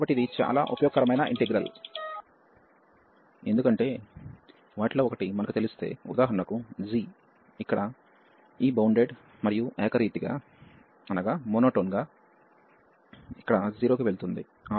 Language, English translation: Telugu, So, this is a very useful integral, because if we know that one of them, so for example g is here this bounded and monotone going to 0 here